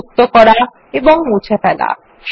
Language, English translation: Bengali, Inserting and Deleting sheets